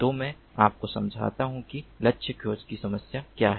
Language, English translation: Hindi, so let me explain to you what the problem of target tracking is